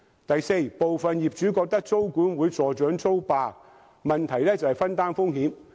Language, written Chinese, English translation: Cantonese, 第四，部分業主覺得租管會助長"租霸"，問題其實在於分擔風險。, Fourthly some owners may consider that rogue tenants would be encouraged by tenancy control but the problem can be addressed through risk - sharing